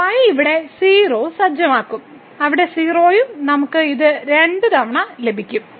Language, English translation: Malayalam, So, will be set here 0; there also 0 and we will get this 2 times